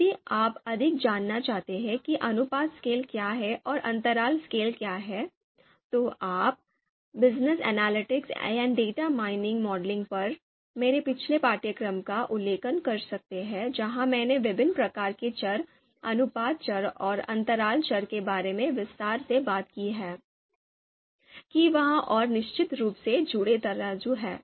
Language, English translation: Hindi, More on if you want to understand more about what is ratio scale and what is interval scale, you can refer to my previous course on ‘Business Analytics and Data Mining Modeling’ where I have talked extensively about the different kind of variables, ratio variables and interval variables, that are there and of course the associated scales